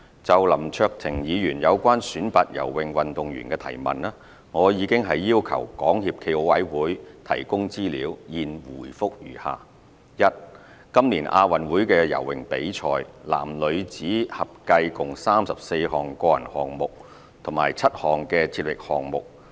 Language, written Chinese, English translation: Cantonese, 就林卓廷議員有關選拔游泳運動員的質詢，我已要求港協暨奧委會提供資料，現回覆如下：一今年亞運會的游泳比賽，男女子合計共有34項個人項目和7項接力項目。, Based on the information provided by SFOC my reply to Mr LAM Cheuk - tings question on the selection of swimmers is as follows 1 There were a total of 34 mens and womens individual swimming events and 7 relay swimming events at the 2018 Asian Games